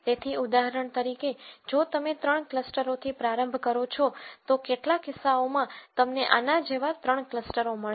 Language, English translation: Gujarati, So, for example, if you start with 3 clusters you might in some instances find 3 clusters like this